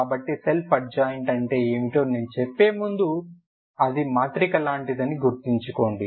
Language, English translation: Telugu, So before I say what iss the self adjoint you imagine it is like a L is a like a matrix